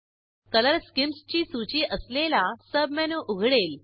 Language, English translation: Marathi, A submenu opens with a list of Color schemes